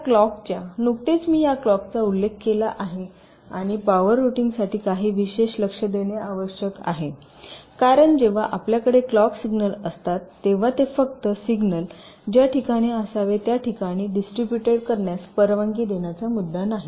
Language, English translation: Marathi, ok, ah, this clock i have just mentioned earlier, this clock and power routing, requires some special attention because when you have the clock signals, it is not just the issue of just allowing the signals to be distributed to the different points were should be